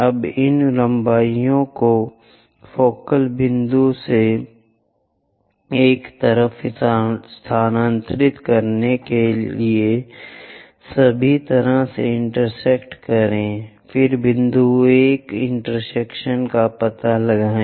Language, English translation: Hindi, Now, transfer these lengths one from focal point all the way to join intersect that, then locate the point intersection 1